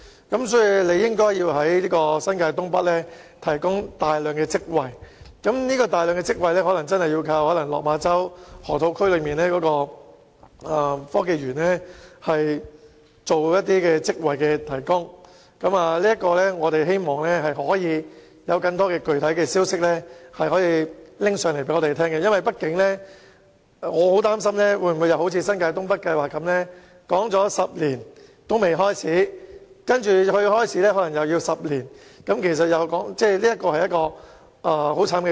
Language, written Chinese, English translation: Cantonese, 因此，當局應在新界東北提供大量職位，這可能真的要依賴落馬洲河套區內的科技園提供職位，希望當局能夠有更多具體消息告訴我們，因為我很擔心會如發展新界東北計劃般，花10年討論仍未開始工作，其後又可能要10年才有成果，這是很悲慘的事情。, So the authorities should make available a large number of employment opportunities in North East New Territories and the jobs probably will come from the Hong KongShenzhen Innovation and Technology Park at the Loop . I hope the authorities can update us with more concrete developments as I worry that the project will commit the same error made in the North East New Territories development in which we have gone through 10 years of discussion without actually commencing the works at all and it may take another 10 years before the development can bear any fruits . This is pathetic